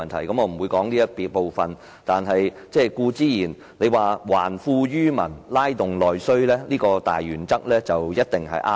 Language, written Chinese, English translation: Cantonese, 我不會討論這個部分，但他提到"還富於民"、"拉動內需"的大原則一定是對的。, I will not cover such topics . But the major principle of returning wealth to people and stimulating internal demand suggested by him is definitely correct